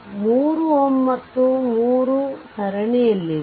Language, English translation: Kannada, And this 3 ohm and this 3 ohm is in series